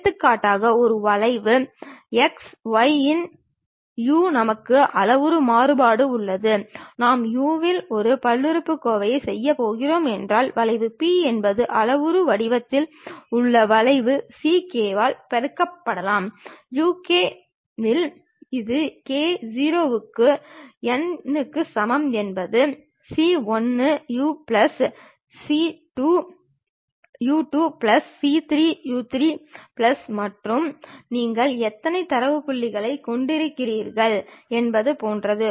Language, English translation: Tamil, For example, a curve x of u, y of u, z of u the point we have parametric variation, if I am going to fix a polynomial in u then the curve P is the curve in parametric form can be written as c k multiplied by u k, it is more like the summation k is equal to 0 to n means c 1 u 1 plus c 2 u 2 plus c 3 u 3 plus and so on how many data points you have that much